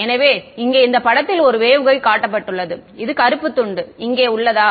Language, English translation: Tamil, So, a waveguide as shown in this figure over here is this black strip over here